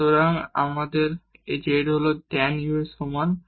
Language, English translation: Bengali, So, we have z is equal to tan u